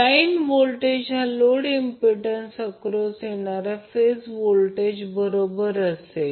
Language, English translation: Marathi, That means line voltage will be equal to phase voltage coming across the load impedance